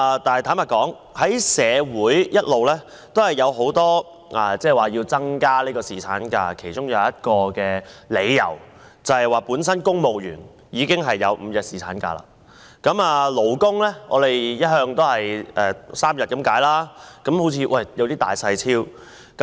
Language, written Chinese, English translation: Cantonese, 但是，坦白說，社會一直有很多要求增加侍產假的理由，其中一點是公務員本身已經擁有5日侍產假，勞工只有3日，好像有點兒不公平。, But frankly people have voiced out many reasons for a longer paternity leave . One is that civil servants are already entitled to a five - day paternity leave and it seems a little unfair that ordinary workers only have three days of such leave